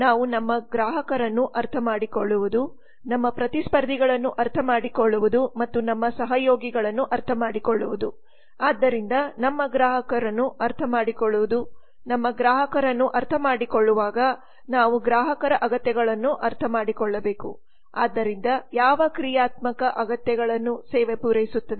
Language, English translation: Kannada, we are trying to understand the other parts of micro environment namely understanding our customers understanding our competitors and understanding our collaborators so understanding our customers while understanding our customers we have to understand customer needs so what functional needs does the service fulfil